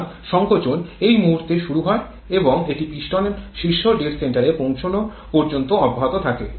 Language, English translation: Bengali, So, compression starts at this point and it continues till the piston reaches the top dead center